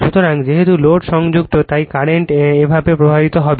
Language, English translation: Bengali, So, as load is connected load is load is connected therefore, the current will be flowing like this